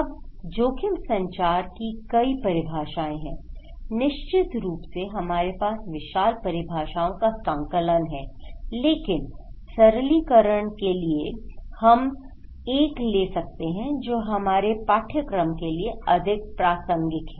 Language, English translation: Hindi, Now, this is the, there are many definitions of risk communications, of course, enormous number of definitions we have but just for simplifications, we can take one which is more relevant for our course